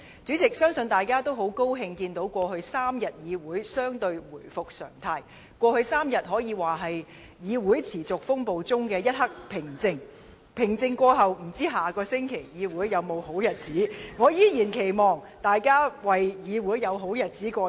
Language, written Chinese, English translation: Cantonese, 主席，相信大家都很高興看到過去3天，議會相對回復常態，這3天可說是議會持續風暴中的一刻平靜，但平靜過後，不知議會在下周還會否有這樣的好日子。, President I am sure we are all very glad to see that this Council has resumed relatively normal operation over the past three days . These three days can be described as a rare moment of serenity in a raging storm . However after these quiet days are over no one knows if we can enjoy good days like these in this Council next week